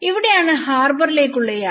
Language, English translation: Malayalam, This is where travel to the harbour